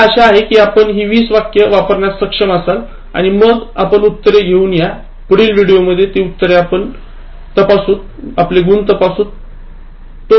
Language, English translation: Marathi, So, I hope you will be able to work out these 20 sentences and then you will come out with the answers, will check those answers and your score in the next video